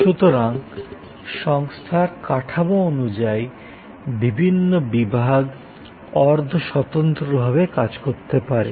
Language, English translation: Bengali, So, different departments according to the structure of the organization can operate quasi independently